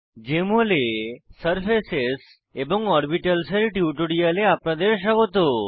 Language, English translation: Bengali, Welcome to this tutorial on Surfaces and Orbitals in Jmol Application